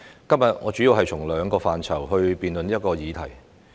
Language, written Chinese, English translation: Cantonese, 今天，我主要從兩個範疇辯論這項議題。, Today I will mainly discuss two aspects of this issue